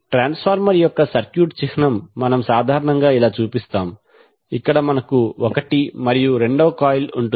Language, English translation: Telugu, The circuit symbol of the transformer we generally show like this where we have the coil one and two